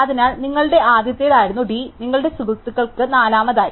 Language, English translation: Malayalam, So, D which was your first has become your friends 4th